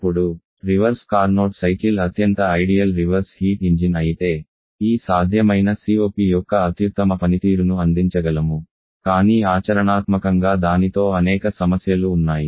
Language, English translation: Telugu, Now, while the reverse Carnot cycle is the most ideal reverse engine we can have giving the best possible performance of this possible COP but there are several practical problems with it